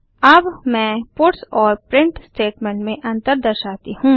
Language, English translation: Hindi, Now let me demonstrate the difference between puts and print statement